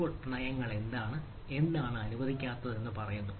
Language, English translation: Malayalam, so policy says what is what is not allowed, right